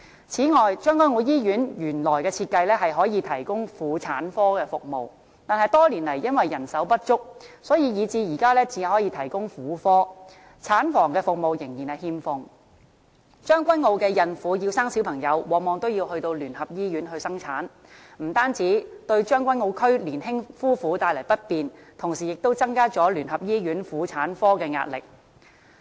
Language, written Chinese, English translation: Cantonese, 此外，將軍澳醫院原來的設計可以提供婦產科服務，但多年來因為人手不足，所以至今只能提供婦科，產房服務仍然欠奉，將軍澳區的孕婦要生小朋友，往往要到聯合醫院生產，不但對將軍澳區年輕夫婦帶來不便，同時亦增加了聯合醫院婦產科的壓力。, Moreover the Tseung Kwan O Hospital was originally designed to provide obstetrics and gynaecology OG services but over the years it has been capable of providing only gynaecological services owing to manpower shortage . Obstetric services are still not available . Very often pregnant women in Tseung Kwan O need to go to the United Christian Hospital for delivery